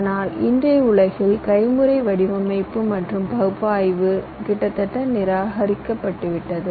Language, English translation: Tamil, but in todays world, manual design and manual ah, you can say analysis is almost ruled out